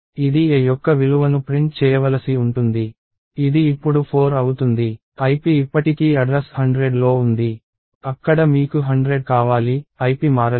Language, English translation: Telugu, This is supposed to print the value of a, this will now be 4, ip is still address 100 you want 100 there, ip has not changed